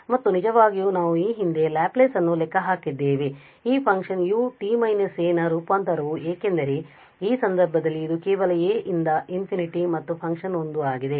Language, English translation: Kannada, And indeed we have computed earlier the Laplace transform of this function u t minus a because in this case this will be just integrated from infinity the function is 1